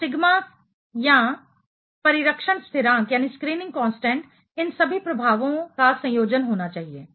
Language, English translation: Hindi, So, the sigma or the shielding constant should be the combination of all these effects